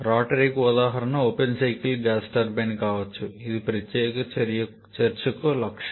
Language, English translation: Telugu, A rotary example can be the open cycle gas turbine which is the objective for this particular discussion